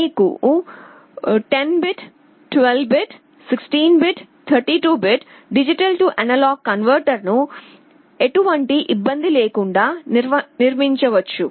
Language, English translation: Telugu, You can built a 10 bit, 12 bit, 16 bit, 32 bit D/A converter without any trouble